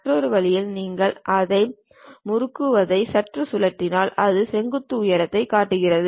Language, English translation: Tamil, In other way if you are slightly rotating twisting it, then it shows that vertical height of that